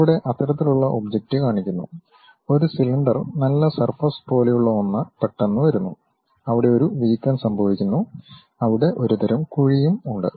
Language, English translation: Malayalam, Here such kind of object is shown, a something like a cylindrical nice surface comes suddenly, there is a bump happens there a kind of dent also there